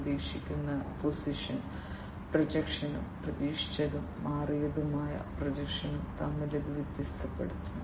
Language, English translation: Malayalam, And it differentiates between the expected position projection and the altered projection expected and the altered